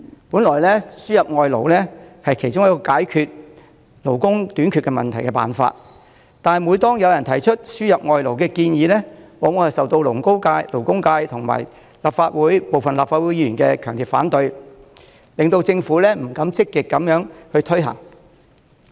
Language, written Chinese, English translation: Cantonese, 本來輸入外勞是其中一個解決勞工短缺問題的辦法，但每當有人提出輸入外勞的建議，往往便受勞工界及部分立法會議員的強烈反對，令政府不敢積極推行。, Fundamentally importation of labour should be one way to resolve labour shortage but whenever such a proposal is put forward Members of the Legislative Council including those from the labour sector will often raise strong opposition thus discouraging the Government from actively implementing the proposal